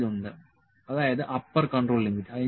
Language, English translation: Malayalam, L that is Upper Control Limit